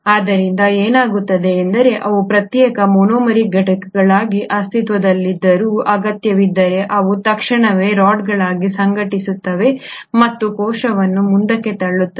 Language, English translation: Kannada, So what happens is though they were existing as individual monomeric units, if the need be they immediately organise as rods and push the cell forward